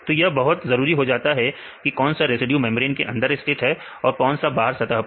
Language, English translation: Hindi, So, this is very important to see whether any residue is located within the membrane or in a surface